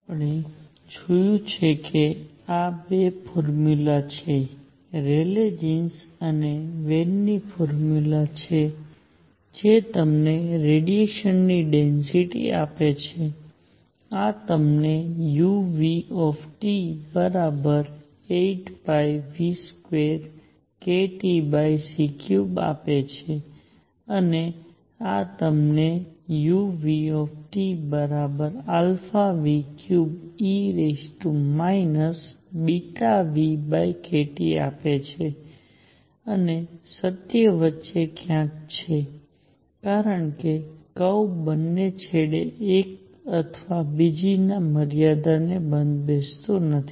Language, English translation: Gujarati, We have seen that there are 2 formula; Rayleigh Jean’s and Wien’s formula that give you radiation density; this gives you u nu T equals 8 pi nu square over c cubed k T and this gives you u nu T equals sum alpha nu cubed e raised to minus beta nu over k T and truth is somewhere in between because the curve does not fit both ends one limit or the other